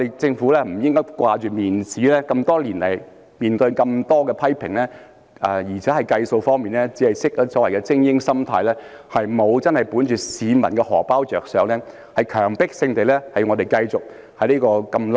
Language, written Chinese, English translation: Cantonese, 政府不應只着重面子，這麼多年來，面對這麼多批評，而且在計算方面，也只是本着所謂的精英心態，沒有真正為市民的"荷包"着想，強迫市民在這麼"爛"的制度裏生存。, The Government should not only consider the matter of face . Over the years it has faced with so many criticisms and it made calculations only in terms of the so - called elitist mentality without considering the wallets of the people while forcing them to live with such a broken system